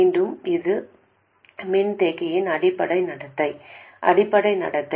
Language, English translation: Tamil, Again, this is the basic behavior of the capacitor